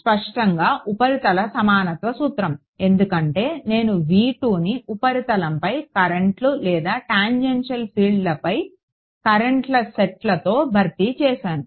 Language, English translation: Telugu, Clearly surface equivalence principle, because I have replaced V 2 by set of currents on the currents or the tangential fields on the surface